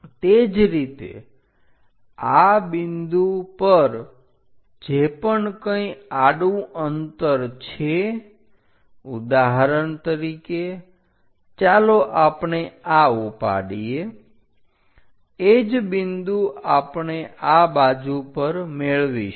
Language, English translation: Gujarati, Similarly, whatever these horizontal distance on this point, for example, let us pick this one, the same point we will be having on this side